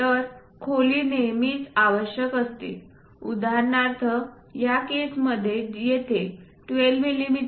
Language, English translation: Marathi, So, depth is always be required for example, here in this case 12 mm